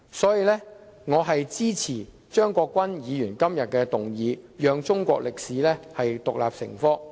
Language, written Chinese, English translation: Cantonese, 所以，我支持張國鈞議員今天提出的議案，讓中史獨立成科。, For this reason I support Mr CHEUNG Kwok - kwans motion today on requiring the teaching of Chinese history as an independent subject